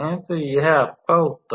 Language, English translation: Hindi, So, that is what your answer is